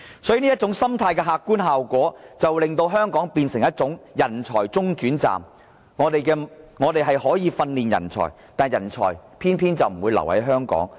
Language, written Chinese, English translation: Cantonese, 所以這種心態的客觀效果，令香港變成人才中轉站，以致我們訓練出來的人才，偏偏就不留在香港。, Therefore this mentality will have the practical effect of reducing Hong Kong to a mere transit point of talents . As a result the talents we have nurtured will not stay in Hong Kong